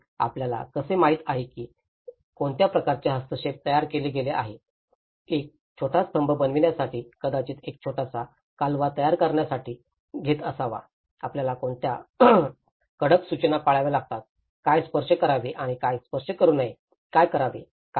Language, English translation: Marathi, And how, what kind of interventions have been formed you know, to make a small pillar it might have taken this to make a small canal, what are the various strict instructions we have to follow, what to touch and what not to touch, what to remove and what not to add